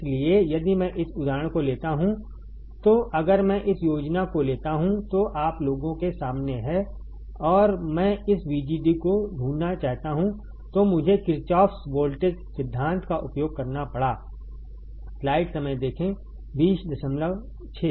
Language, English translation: Hindi, So, if I take this example if I take this schematic, which is right in front of you guys and I want to find this VGD then I had to use a Kirchhoffs voltage law